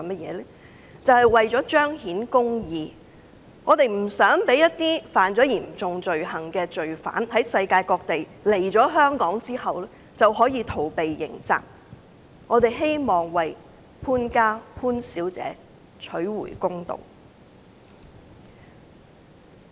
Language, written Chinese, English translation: Cantonese, 是為了彰顯公義，我們不想在世界各地干犯嚴重罪行的罪犯來香港逃避刑責，我們也希望為潘家和潘小姐討回公道。, The purpose is to manifest justice . We do not want offenders who committed serious offences in various parts of the world to come to Hong Kong to evade criminal liability and we also want to do justice to Miss POON and her family members